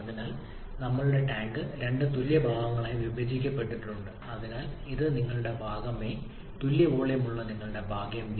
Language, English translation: Malayalam, So we have our tank which is divided into 2 equal parts so this is your part A and this is your part B which are having equal volume